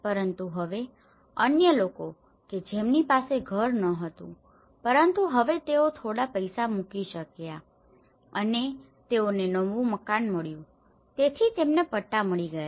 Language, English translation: Gujarati, But now, the other people who were not having a house but now they could able to put some money and they got a new house so they got the patta